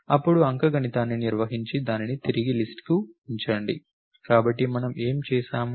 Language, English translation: Telugu, Then, perform arithmetic put it back to the list, so what we did